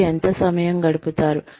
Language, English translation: Telugu, How much time, you will spend